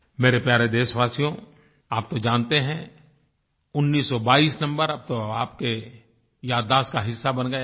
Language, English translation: Hindi, My dear countrymen, you already know that number 1922 …it must have become a part of your memory by now